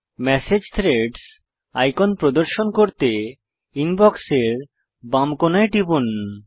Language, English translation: Bengali, Click on the Click to display message threads icon in the left corner of the Inbox